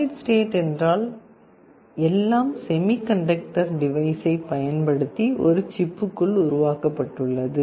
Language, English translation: Tamil, Solid state means everything is built inside a chip using semiconductor device